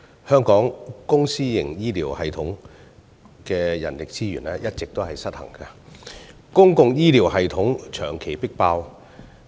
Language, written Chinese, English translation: Cantonese, 香港公私營醫療系統的人力資源一直失衡，公營醫療系統長期迫爆。, There is a constant imbalance of manpower resources between the public and private healthcare systems with the public healthcare system persistently overloaded